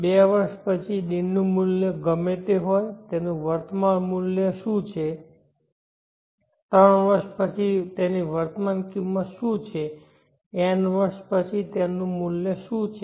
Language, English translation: Gujarati, So one year later whatever the value of D what is its present to earth, two years later whatever the value of D what is present to earth so on